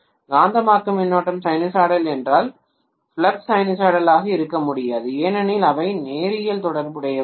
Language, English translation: Tamil, If the magnetizing current is sinusoidal then the flux cannot be sinusoidal because they are not linearly related, right